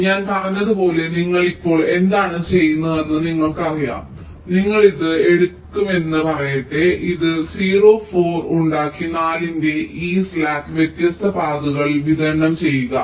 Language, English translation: Malayalam, as i said, let say you pick up this, you make this zero four and distribute this slack of four among the different paths